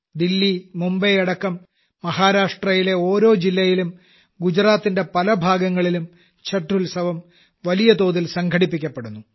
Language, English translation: Malayalam, Chhath is now getting organized on a large scale in different districts of Maharashtra along with Delhi, Mumbai and many parts of Gujarat